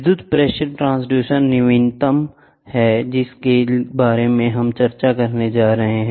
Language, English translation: Hindi, The electrical pressure transducer is the latest one which is coming up here